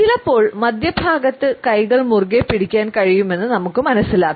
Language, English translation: Malayalam, Sometimes we find that the hands can be clenched in the center position